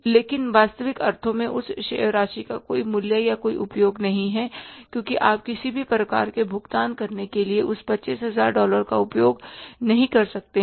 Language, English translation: Hindi, But in the real sense that amount has no value or no use because you cannot use that $25,000 for making any kind of payments